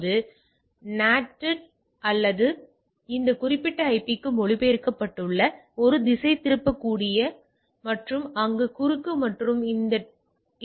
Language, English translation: Tamil, So, these are NATed or translated to this particular IP which is a routable and cross there and this also IP of this interface and goes into the thing